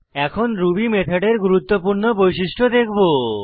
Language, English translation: Bengali, Now I will show you one important feature of Ruby method